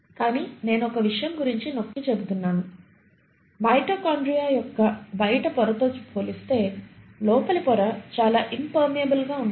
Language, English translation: Telugu, But I will insist on one thing; the inner membrane is highly impermeable compared to the outer membrane of the mitochondria